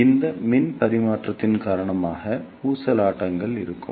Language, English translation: Tamil, So, because of this power transfer there will be oscillations